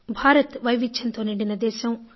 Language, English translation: Telugu, India is land of diversities